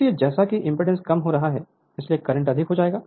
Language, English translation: Hindi, So, as impedance is getting reduced so current will be higher